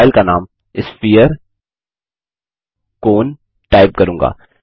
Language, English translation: Hindi, I will type the file name as Sphere cone Click on Save